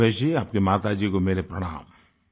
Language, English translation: Hindi, " Ramesh ji , respectful greetings to your mother